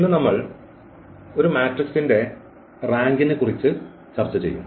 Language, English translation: Malayalam, Now, here we will find the rank of the matrix